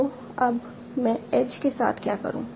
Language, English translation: Hindi, So, now what do I do with the edges